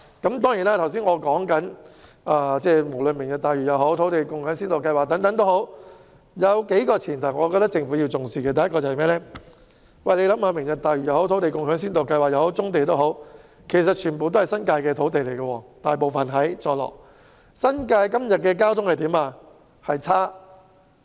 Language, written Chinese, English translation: Cantonese, 不過，無論是"明日大嶼"或先導計劃，都有些前提是政府必須重視的：第一，"明日大嶼"、先導計劃或棕地等大多數涉及坐落於新界的土地，但現時新界的交通情況卻很差。, First the sites under Lantau Tomorrow and the Pilot Scheme as well as the brownfield sites are mostly located in the New Territories but traffic conditions in the New Territories are very poor at present